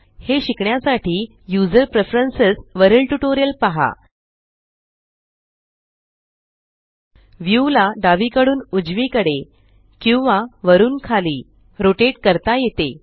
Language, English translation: Marathi, To learn how to do this, see the tutorial on User Preferences.lt/pgt Rotating the view can be done either left to right or up and down